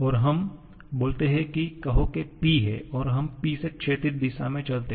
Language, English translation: Hindi, And let us speak up say P and we move in the horizontal direction from P